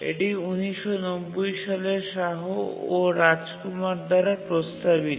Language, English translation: Bengali, It was proposed by Shah and Rajkumar, 1990